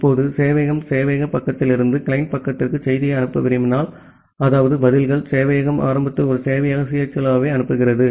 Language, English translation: Tamil, Now, if the server wants to send the message from the server side to the client side, that means the responses, the server sends a server CHLO initially